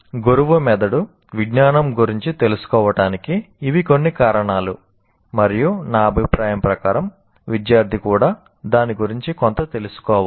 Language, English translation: Telugu, Now that is, these are some reasons why, why teachers should know about brain science and in my opinion even the students should know something about it